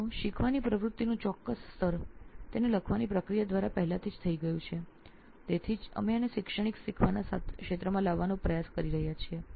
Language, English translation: Gujarati, So certain level of learning activity has already happened by the process of writing it down, which is why we are trying to bring this into the educational learning sector